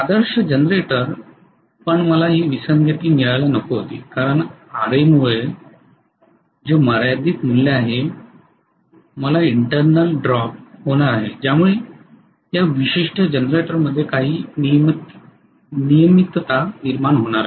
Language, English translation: Marathi, Ideal generator I should not have gotten this discrepancy but because of RA which is a finite value I am going to have internal drop which is going to cause some regulation in this particular generator